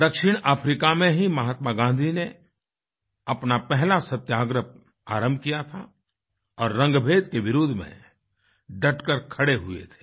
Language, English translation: Hindi, It was in South Africa, where Mahatma Gandhi had started his first Satyagraha and stood rock steady in protest of apartheid